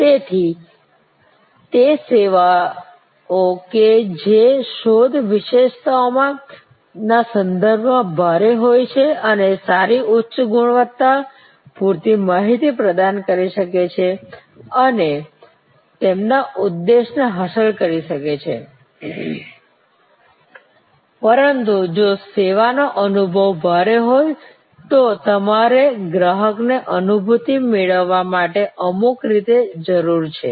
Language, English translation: Gujarati, So, those services which are heavy with respect to search attributes can provide good high quality, enough information and achieve their objective, but if the service is experience heavy, then you need some way the customer to get a feel